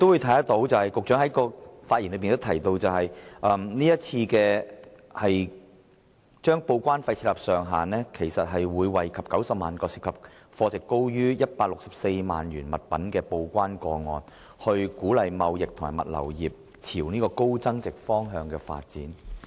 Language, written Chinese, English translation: Cantonese, 據局長於其發言中表示，是次就報關費設定上限，將惠及約90萬個涉及貨值高於164萬元物品的報關個案，政府希望藉此鼓勵貿易和物流業朝高增值方向發展。, As said by the Secretary in his speech the initiative of setting a cap on the TDEC charges this time will benefit about 900 000 TDEC cases involving goods at a value above 1.64 million . The Government hopes that the initiative will help encourage the trading and logistics industry to move up the value chain